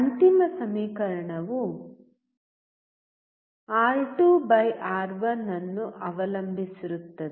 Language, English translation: Kannada, The final equation depends on R2/R1